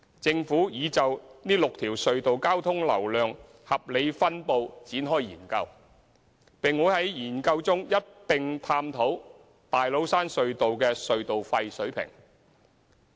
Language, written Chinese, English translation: Cantonese, 政府已就這6條隧道交通流量合理分布展開研究，並會在該研究中一併探討大老山隧道的隧道費水平。, The Government has initiated a study on the rationalization of traffic distribution among the six tunnels and a review on the TCT toll level will be incorporated in the study